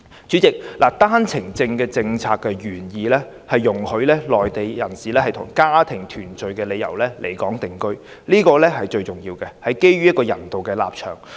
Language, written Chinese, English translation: Cantonese, 主席，單程證政策的原意是容許內地人士以家庭團聚的理由來港定居，這是最重要的一點，也是基於人道立場作出的安排。, President the original intention of the OWP policy is to facilitate Mainland residents to come to settle in Hong Kong for family reunion . This is the most important objective and is also an arrangement made on humanitarian grounds